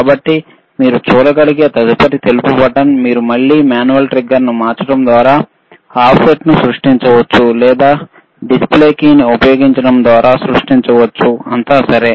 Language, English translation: Telugu, Next 1 please, sSo, next white button you can see you have, if you wantcan to create an offset, you can create a offset by again changing the manual trigger or by using the display key the other push buttonskey, all right